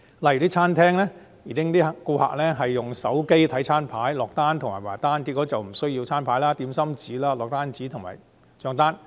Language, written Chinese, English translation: Cantonese, 例如，餐廳的顧客改用手機看餐牌、落單和結帳，不用餐牌、點心紙、落單紙和帳單。, In restaurants for example customers now use their mobile phones to read the menu place orders and pay the bill . Hence printed menus dim sum order forms order forms and bills are no longer required